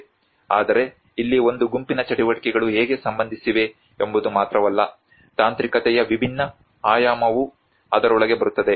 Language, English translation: Kannada, \ \ Whereas here it is not only that how a set of activities are related to, there is a different dimension of technicality comes into it